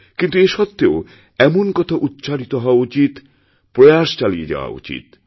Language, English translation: Bengali, Despite that, one should keep talking about it, and keep making the effort